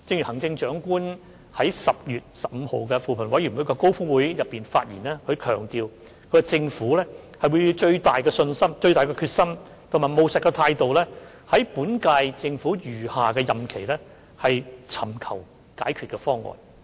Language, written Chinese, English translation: Cantonese, 行政長官在10月15日扶貧委員會高峰會上，強調政府會以最大的決心和務實的態度，在本屆政府餘下任期內尋求解決方案。, In the Commission on Poverty Summit on 15 October the Chief Executive stressed that the current - term Government would seek to work out a solution in the remainder of its term with the greatest determination and a practical attitude